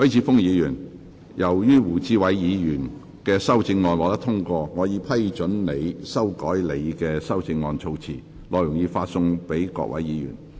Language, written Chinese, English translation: Cantonese, 許智峯議員，由於胡志偉議員的修正案獲得通過，我已批准你修改你的修正案措辭，內容已發送各位議員。, Mr HUI Chi - fung as the amendment of Mr WU Chi - wai has been passed I have given leave for you to revise the terms of your amendment as set out in the paper which has been issued to Members